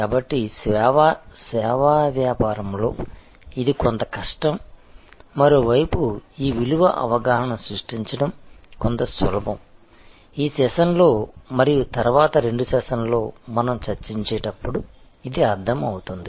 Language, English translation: Telugu, So, in service business, it is somewhat difficult and on the other hand, somewhat easier to create this value perception, which we will understand as we discuss during this session and in the following couple of sessions